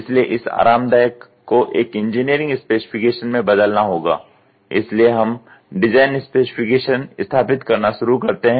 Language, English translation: Hindi, So, this comfortable has to be converted into a engineering specification that is what we start doing establishing design specification